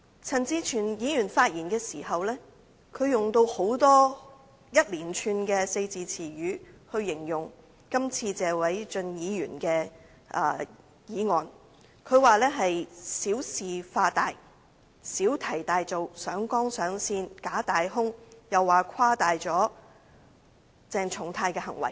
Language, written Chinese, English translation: Cantonese, 陳志全議員發言時用了一連串的四字詞語來形容謝偉俊議員的議案，他說這是小事化大、小題大做、上綱上線、假大空，又說議案誇大了鄭松泰議員的行為。, In his speech Mr CHAN Chi - chuen used a series of expressions to describe Mr Paul TSEs motion . He said that it is making a mountain out of a molehill that it is a storm in a teacup and escalating the issue to the political plane and that it is false big and empty adding that the motion has exaggerated Dr CHENG Chung - tais behaviour